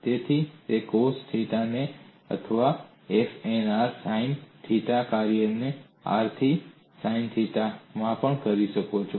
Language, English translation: Gujarati, So it is cos theta or you can also have f 1 r sin theta function of r into sin theta, and the function of r